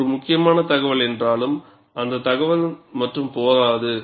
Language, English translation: Tamil, Though it is important information, that information alone, is not sufficient